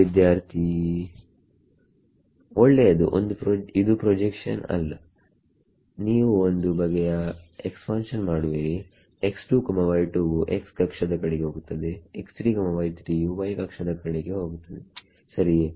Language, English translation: Kannada, Well not projection you would some kind of expansion such that x 2, y 2 goes on the x axis x 3, y 3 goes on the y axis right